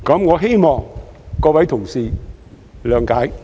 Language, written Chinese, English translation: Cantonese, 我希望各位同事諒解。, I hope that my fellow colleagues can understand